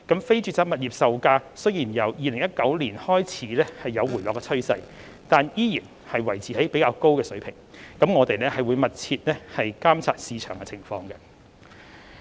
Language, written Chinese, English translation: Cantonese, 非住宅物業售價雖然由2019年開始有回落的趨勢，但依然維持較高水平，政府會繼續密切監察市場情況。, Although the prices of non - residential properties have been trending downwards since 2019 they still stood at relatively high levels . The Government will continue to monitor the market situation closely